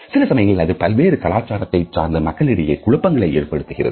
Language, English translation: Tamil, Sometimes it may generate confusions among people in cross cultural situations